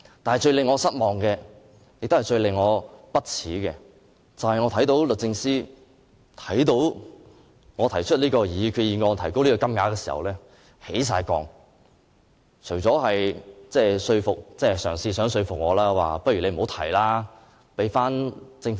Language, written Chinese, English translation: Cantonese, 但是，最令我失望、最令我不耻的是，律政司對於我提出這項擬議決議案極有敵意，更嘗試說服我不要提出這項決議案，而讓政府提出。, However it is most disappointing and appalling to find that DoJ has looked at my proposed resolution with deep hostility . It has even attempted to persuade me to drop the plan in favour of the resolution to be moved by the Government